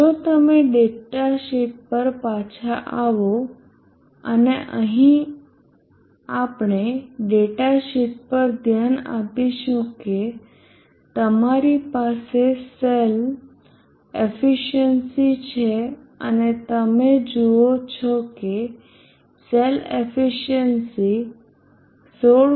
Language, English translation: Gujarati, If you come back to the datasheet and we will look at the data sheet here you have the cell efficiency and you see the cell efficiency is 16